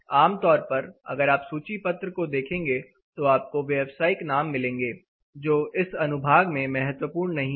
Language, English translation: Hindi, Typically, if you look at the brochures you will have commercial names, which is essentially not important in this section